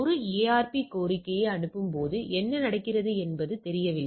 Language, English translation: Tamil, But what happened that when you are sending a ARP request it is not known right